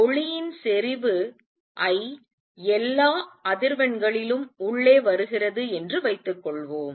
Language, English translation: Tamil, And suppose light of intensity I is coming in of all frequencies light of intensities is coming in